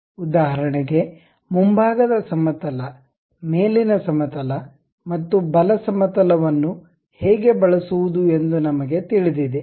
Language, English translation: Kannada, For example, we know how to use front plane, top plane and right plane